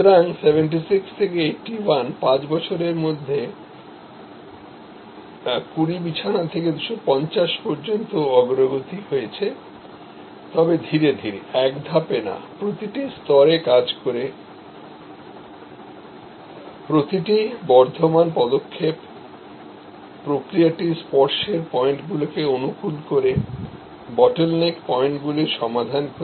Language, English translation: Bengali, So, between 76 and 81, 5 years progress from 20 to 250, but not in one jump progressively, working out at every level, at every incremental step, the process flow the solving of the bottle neck points optimizing the touch points